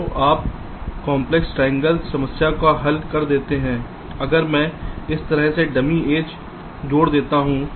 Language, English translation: Hindi, ok, so you that complex triangle problem solved if i add dummy vertices like this